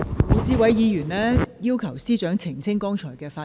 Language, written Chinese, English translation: Cantonese, 胡志偉議員要求司長澄清剛才的發言。, Mr WU Chi - wai requests the Secretary for Justice to clarify the speech she made just now